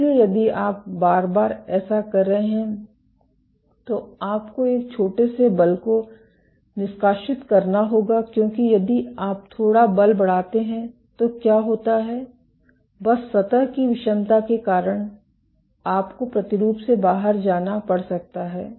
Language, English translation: Hindi, So, if you are doing this repeatedly you have to exert a small force because if you do not exert little force then, what happens is just due to surface heterogeneity you might have be dislodged from the sample